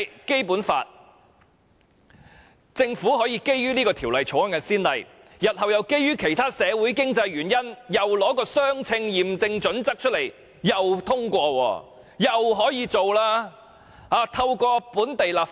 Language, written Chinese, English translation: Cantonese, 如果政府可以引《條例草案》為先例，日後亦可以基於其他的社會及經濟原因，再次採用相稱驗證準則通過其他法案，透過本地立法引入內地法例。, If the Government can use this Bill as a precedent it can also force through other bills using the proportionality test again for other social and economic reasons thereby introducing Mainland laws by local legislation in the future